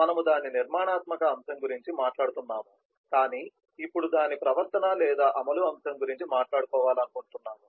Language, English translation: Telugu, we have been talking about the structural aspect of it, but now we want to talk about the behaviour or execution aspect of that